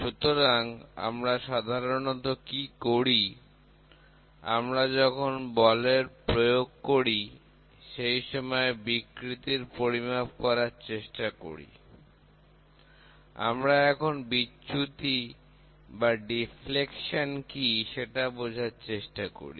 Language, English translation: Bengali, So, basically what we do is, we try to measure strains, when we are trying to apply force, we will try to see what is the deflection